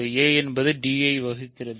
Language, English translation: Tamil, So, d must be a unit